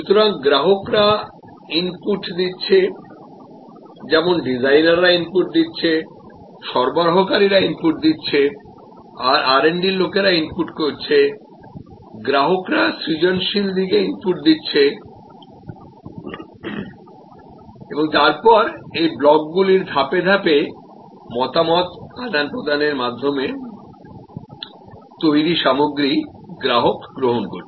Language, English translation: Bengali, So, customer is also inputting just as designers are inputting, suppliers are inputting, R& D people are inputting, customers are participating on this side, the creative side and then, through this various steps through the interaction of these blocks, customer is receiving the end product